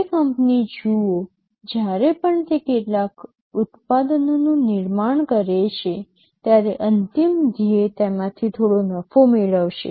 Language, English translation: Gujarati, See a company whenever it manufactures some products the ultimate goal will be to generate some profit out of it